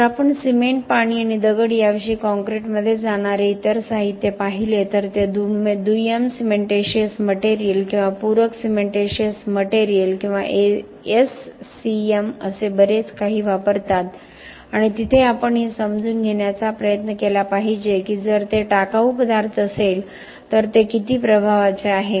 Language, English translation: Marathi, If we look at other materials which go into concrete other than cement, water and stone they use a lot of what are called secondary’s cementitious materials or supplementary cementitious materials or SCM’s and there we should try to understand that if it is a waste material how much of impact do we allocate to this materials